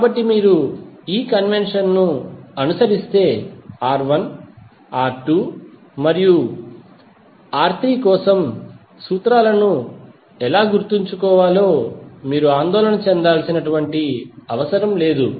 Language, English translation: Telugu, So if you follow this convention, you need not to worry about how to memorize the formulas for R1, R2 and R3